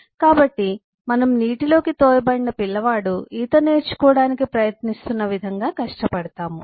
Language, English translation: Telugu, so we kind of eh eh struggle like a, like a child thrown into the water and trying to learn to swim